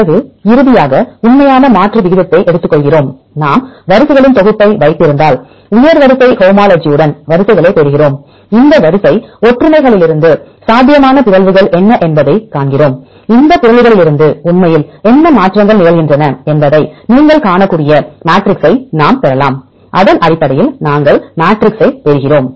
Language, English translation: Tamil, Then finally, we take the actual substitution rate for example, if we have set of sequences get the sequences with the high sequence homology, from these sequence similarities we see what are the possible mutations; from that mutations then we can derive the matrix you can see what are the changes actually happen and based on that we derive the matrices